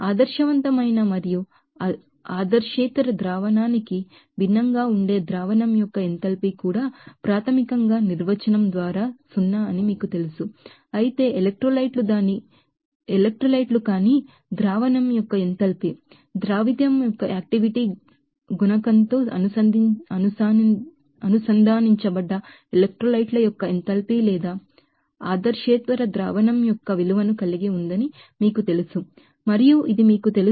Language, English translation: Telugu, Even the enthalpy of solution that may be you know different for ideal and non ideal solution that the enthalpy of mixing up an ideal solution basically is zero by definition, but the enthalpy of the solution of non electrolytes has been you know has the value of the enthalpy of fusion or vaporization or non ideal solution of electrolytes which is connected to the activity coefficient of the solute and also this you know that breaking up the you know, molecules you know molecules of solvent and solids also